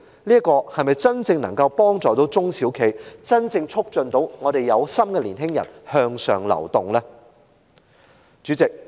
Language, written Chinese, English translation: Cantonese, 這些政策能否真正幫助中小企、真正促進有心的年青人向上流動？, Can these policies genuinely help SMEs and genuinely promote upward mobility of the conscientious young people?